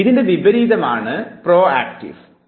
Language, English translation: Malayalam, The reverse of it would be proactive interference